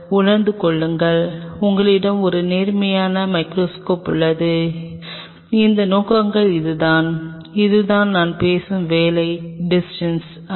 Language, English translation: Tamil, Realize and you have an upright microscope those objectives are and this is the amount this is the kind of working distance I am talking about this is the l